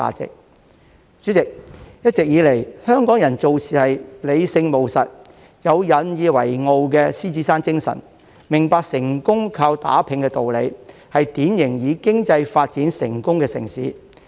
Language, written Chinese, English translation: Cantonese, 代理主席，一直以來，香港人做事理性務實，有引以為傲的獅子山精神，明白成功靠打拚的道理，是典型以經濟發展成功的城市。, Deputy President Hong Kong people have always been rational and pragmatic . They are proud of the spirit of the Lion Rock and understand that success is attributed to hard work . It is typically a city that succeeds in economic development